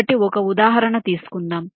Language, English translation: Telugu, ok, lets take a example